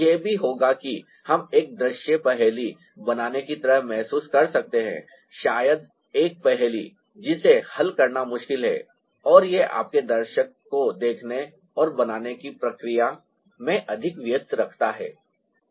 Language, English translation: Hindi, it will also happen that we ah may feel like creating a visual riddle, maybe a puzzle that is difficult to solve and that keeps your viewer more engaged in the process of viewing and creating